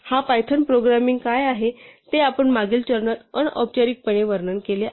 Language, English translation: Marathi, So, what this python programming is doing is exactly what we described informally in the previous step